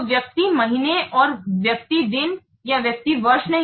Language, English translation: Hindi, So, why person month and not person days or person years